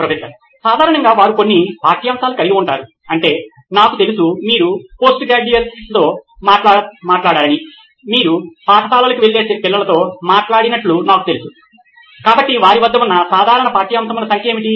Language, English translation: Telugu, How many subjects do typically they I mean you’ve talked to postgraduates, I know you’ve talked to school going kids, so what is the typical number of subjects that they have